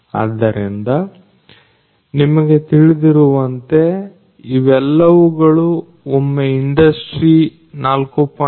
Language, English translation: Kannada, So, you know once they all are going to be industry 4